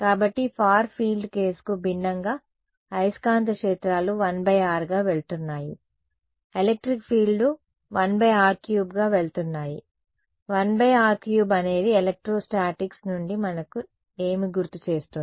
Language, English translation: Telugu, So, in contrast to the far field case the magnetic fields are going as 1 by r squared the electric fields are going as 1 by r cube right 1 by r cube reminds us of what from electrostatics